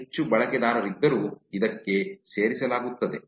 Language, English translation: Kannada, Even though there are more users are added to it